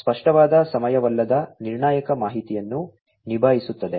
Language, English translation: Kannada, Explicit handles non time critical information